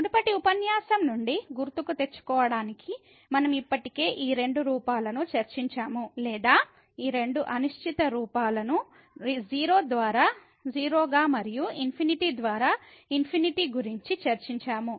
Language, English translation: Telugu, Just to recall from the previous lecture we have discussed already these two forms or rather these two indeterminate forms of the type as 0 by 0 and infinity by infinity